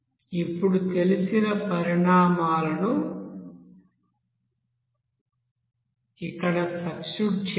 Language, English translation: Telugu, Now substitute the known quantities here